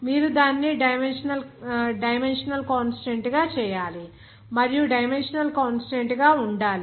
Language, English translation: Telugu, You have to make it dimensionally consistent and to make that dimensionally consistent